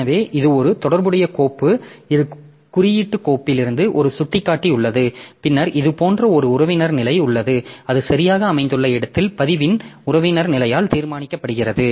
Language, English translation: Tamil, So, from the index file there is a pointer and then there is a relative position like within this where exactly it is located so that is determined by the relative position of the record